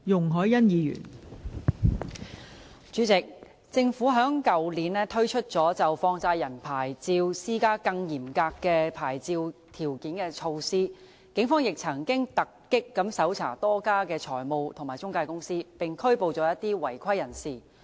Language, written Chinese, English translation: Cantonese, 代理主席，政府於去年推出就放債人牌照施加更嚴格的牌照條件的措施，警方亦曾突擊搜查多家財務及中介公司，並拘捕一些違規人士。, Deputy President in addition to the measures taken by the Government last year to impose more stringent licensing conditions for money lender licences raids have also been conducted by the Police on a number of financial intermediaries and some offenders have been arrested too